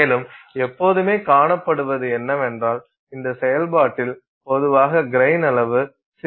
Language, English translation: Tamil, And what has always been seen is that you can in this process typically the grain size becomes smaller